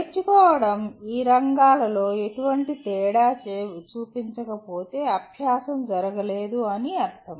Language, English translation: Telugu, If learning did not make any difference to any of these areas that means the learning has not taken place